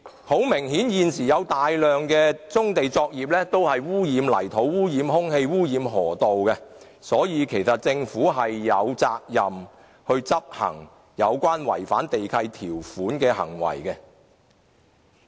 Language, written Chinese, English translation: Cantonese, 很明顯，現時有大量棕地作業污染泥土、空氣和河道，所以政府其實是有責任就違反地契條款的行為採取執法。, It is apparent that many operations being carried out on brownfield sites are causing pollution to the land air and rivers there . The Government is thus duty - bound to take enforcement actions against these site owners who have contravened the lease conditions